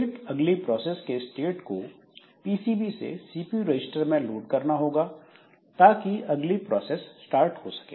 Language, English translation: Hindi, Then the context from the next processes PCB has to be loaded into the CPU registers and all and then the next process can start